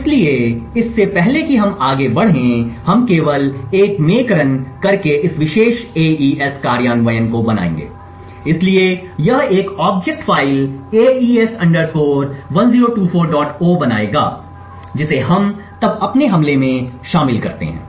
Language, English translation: Hindi, So, before we go further we would make this particular AES implementation by just running a make, so this would create an object file AES 1024